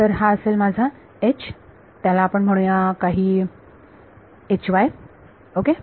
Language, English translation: Marathi, So, this is going to be my H let us call it some H y ok